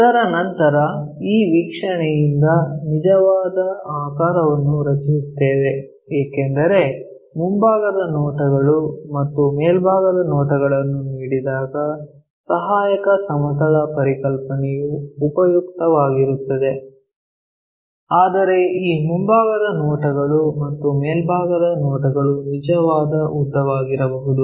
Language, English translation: Kannada, After that we draw a true shape from this view because auxiliary plane concept is useful when you have front views and top views are given, but these front views and top views may not be the true length information